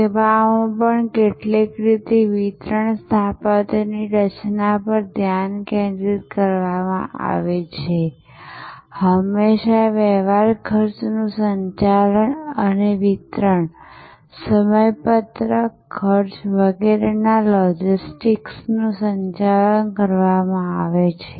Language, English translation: Gujarati, In some ways in services also therefore, in designing the delivery architecture, the focuses always been on earlier, is always been on managing the transaction cost and managing the logistics of delivery, schedule, cost and so on